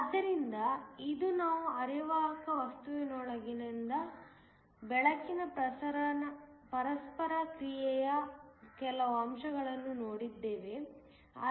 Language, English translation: Kannada, So, today we have looked at some aspects of the interaction of light with a semiconductor material